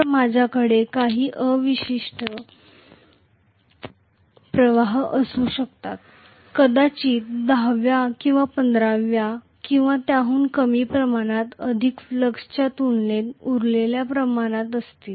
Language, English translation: Marathi, So, I may have some residual flux, may be to the tune of you know one 10th or one 15th or even less than that as the quantity that is leftover as compared to the related flux